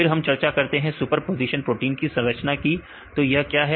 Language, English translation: Hindi, Then we discussed about superposition protein structures what is superposition of protein structures